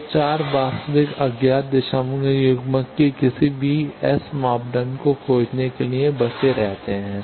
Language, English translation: Hindi, So, 4 real unknowns remain for finding any S parameter of a directional coupler